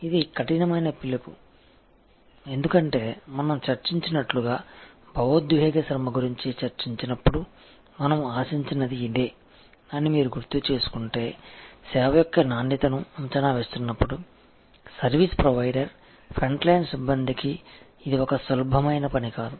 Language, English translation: Telugu, This is a tough call, because as we discussed, when we discussed about emotional labour, if you recall that though this is what we expect, when we are assessing quality of a service, for the service provider, front line personnel, this is not an easy task